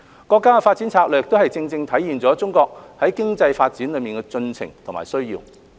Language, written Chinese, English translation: Cantonese, 國家的發展策略也正正體現了中國經濟發展的進程和需要。, The development strategies of the country aptly demonstrate the progress and needs of the economic development of China